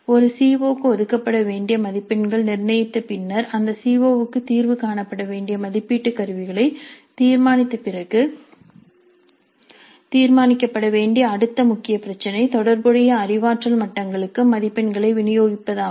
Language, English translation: Tamil, The next important aspect that is after determining the marks to be allocated to a CO and after determining the assessment instruments over which that CO is to be addressed, the next major issue to be decided is the distribution of marks over relevant cognitive levels